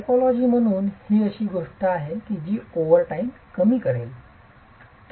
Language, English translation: Marathi, This as a typology is something that over time will reduce